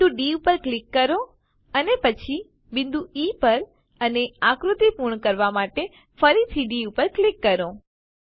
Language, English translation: Gujarati, Click on the point D and then on point E and D once again to complete the figure